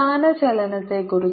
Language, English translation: Malayalam, what about the displacement